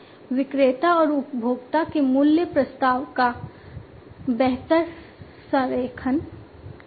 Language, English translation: Hindi, Better alignment of the value proposition of the vendor and the consumer